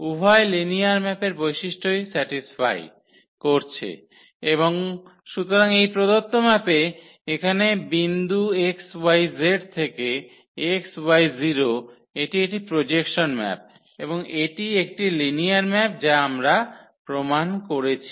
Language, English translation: Bengali, So, both the properties of the linear map a satisfied are satisfied and therefore, this given map here which maps the point x y z to x y 0; it is a projection map and that is linear map which we have just proved here ok